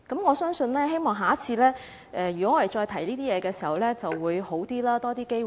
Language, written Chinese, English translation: Cantonese, 我相信，也希望下次再提出這些問題時情況會比較好，會有較多機會。, I believe and also hope that when these issues are raised for discussion again next time the situation will be more favourable and there will be more opportunities